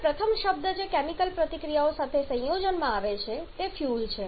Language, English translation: Gujarati, Now the first term that comes in combination with the chemical reactions that is fuel